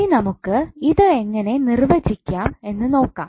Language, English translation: Malayalam, So now let us see how we will define it